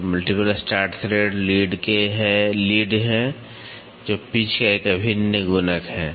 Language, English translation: Hindi, So, multiple start thread are the lead is an integral multiple of the pitch